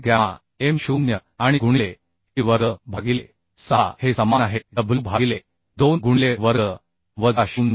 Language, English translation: Marathi, 2 fy by gamma m0 and into t square by 6 is equal to w by 2 into a square minus 0